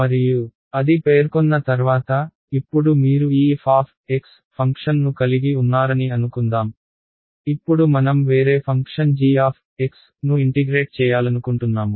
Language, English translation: Telugu, And, once that is specified; now supposing you had this function f of x, now supposing I tell you now I want to integrate some other function g of x